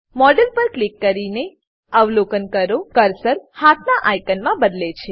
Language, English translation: Gujarati, Click on the model and Observe that the cursor changes to a hand icon